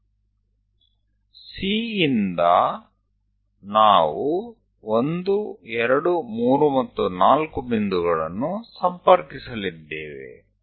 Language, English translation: Kannada, From from C, we are going to connect 1, 2, 3, and 4 points